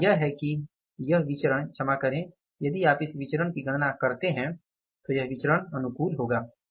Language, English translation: Hindi, Here the correction is that this variance is sorry if you calculate this variance this is come up as favorable